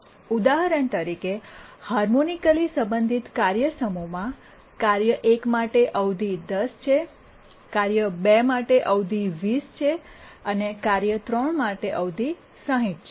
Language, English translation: Gujarati, Just to give an example of a harmonically related task set, let's say for the T1, the task one, the period is 10, for T is task 2, the period is 20, and for task 3 the period is 60